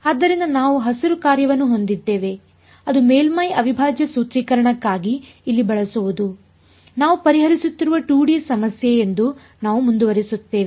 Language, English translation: Kannada, So, we have a Green’s function that where using over here for the surface integral formulation, we are keeping we are going to continue to assume that is the 2D problem that we are solving